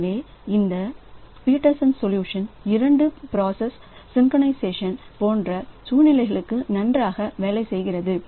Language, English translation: Tamil, So, this Peterson solution it works well for this situations like two process synchronization it works well